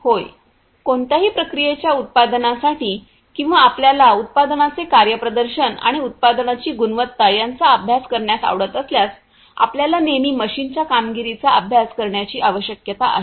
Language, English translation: Marathi, Yeah, exactly because you know for any manufacturing the process or any if you like to study the performance of the product and the quality of the product, you always need to study the performance of the machine ok